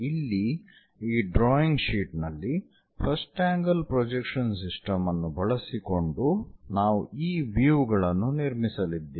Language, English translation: Kannada, So, here on the drawing sheet, using first angle projection system we are going to construct this views